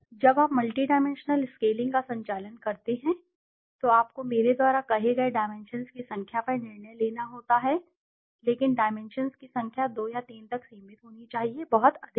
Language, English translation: Hindi, When you conduct the multidimensional scaling you have to decide on the number of dimensions as I said, but the number of dimensions should be limited to 2 or 3, not much